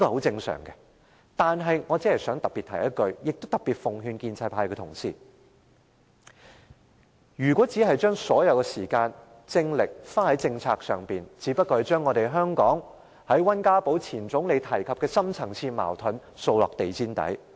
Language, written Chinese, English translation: Cantonese, 但是，我想特別提醒一句，也特別奉勸建制派同事，如果只把所有時間和精力花在政策上，只不過是將前總理溫家寶提及香港的深層次矛盾掃到地毯下。, However I would like to specifically remind and advise colleagues of the pro - establishment camp that if we devote all our efforts and time to handling policy issues only we are just sweeping what WEN Jiabao the former Premier has described as the deep - rooted conflicts in Hong Kong under the carpet